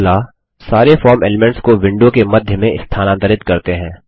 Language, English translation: Hindi, Next, let us move all the form elements to the centre of the window